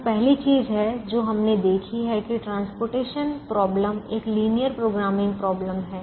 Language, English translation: Hindi, but we have also seen that this transportation problem is a linear programming problem